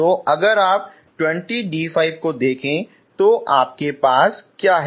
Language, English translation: Hindi, So if you look at this 20 d 5, okay, so then what you have